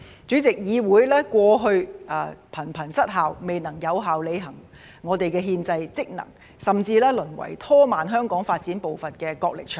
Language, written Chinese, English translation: Cantonese, 主席，議會過去頻頻失效，未能有效履行我們的憲制職能，甚至淪為拖慢香港發展步伐的角力場。, President in the past the legislature was frequently rendered dysfunctional and failed to perform its constitutional functions effectively . Worse still it degenerated into a battleground that slowed down the pace of development of Hong Kong